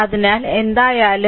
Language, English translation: Malayalam, So, if you do